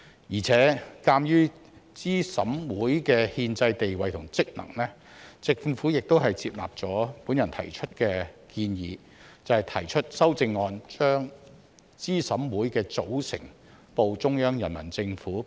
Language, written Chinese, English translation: Cantonese, 而且，鑒於資審會的憲制地位和職能，政府亦接納了我的建議，提出修正案把資審會的組成報中央人民政府備案。, Moreover in view of the constitutional status and functions of CERC the Government has accepted my suggestion and proposed an amendment for reporting the composition of CERC to the Central Peoples Government for the record